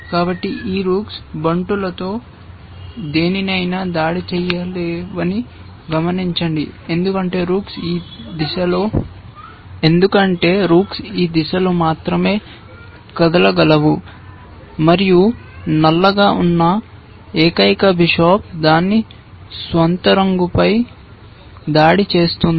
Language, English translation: Telugu, So, observe that these rooks cannot attack any of the pawns otherwise because rooks can move only in this direction, and the only bishop that black has it is the one which will attack its own color